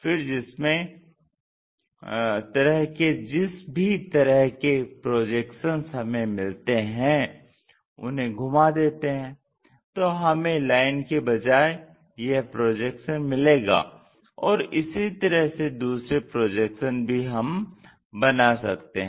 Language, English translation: Hindi, Then, whatever the projections we get like rotate that, so we will have that line projections and so on we will construct it